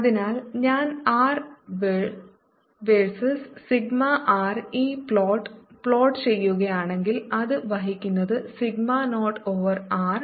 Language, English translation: Malayalam, so if i would plot this r versus sigma r where it says: is it carries sigma naught over r